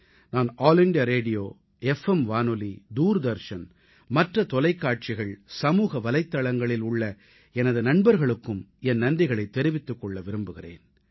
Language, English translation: Tamil, I also thank my colleagues from All India Radio, FM Radio, Doordarshan, other TV Channels and the Social Media